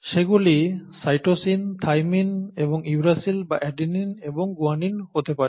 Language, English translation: Bengali, They are, they could be cytosine, thymine and uracil or adenine and guanine, okay